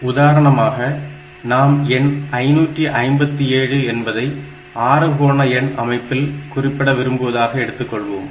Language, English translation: Tamil, For example, suppose we are interested to represent the number 557 in hexadecimal number system